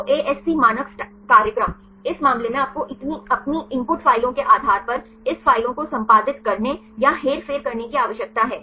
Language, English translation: Hindi, So, ASC standard program, in this case you need to edit or manipulate this files depending upon your input files right